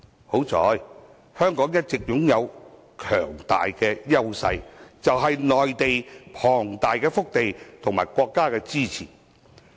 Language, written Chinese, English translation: Cantonese, 幸好，香港一直擁有強大優勢，便是內地龐大的腹地和國家的支持。, Fortunately with the strong edges of having the huge hinterland on the Mainland and the support of the country Hong Kong was able to tide over the economic difficulties